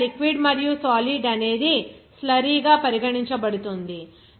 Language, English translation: Telugu, So, that liquid and solid will be regarded as the slurry